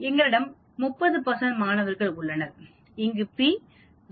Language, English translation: Tamil, We have a 30 percent of students, here p is equal to 0